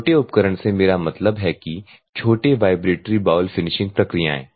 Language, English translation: Hindi, Small equipment, I mean ,small vibratory bowl finishing processes